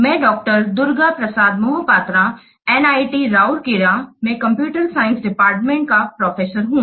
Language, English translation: Hindi, Prasat Prasat Mahavitra, Professor of Computer Science Department, NIT Routala